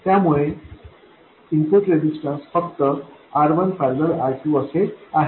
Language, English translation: Marathi, So the input resistance is simply R1, parallel, R2